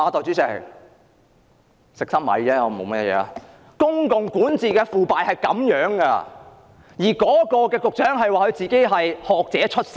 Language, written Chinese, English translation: Cantonese, 這正是公共管治的腐敗，局長竟自稱是社福界的學者出身。, This is precisely corruption in public governance and the Secretary dares claim that he was a scholar of the social welfare sector